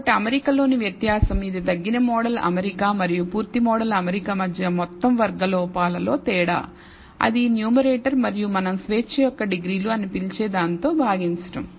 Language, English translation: Telugu, So, the difference in the fit which is difference in the sum squared errors between the reduced model fit and the full model fit that is the numerator, divided by what we call the degrees of freedom